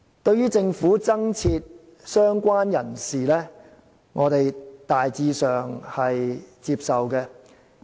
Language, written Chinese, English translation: Cantonese, 對於政府增設"相關人士"這類別，我們大致上是接受的。, We generally accept the addition of the category of related person by the Government